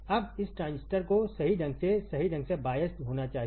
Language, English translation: Hindi, Now this transistor should be biased properly biased correctly, right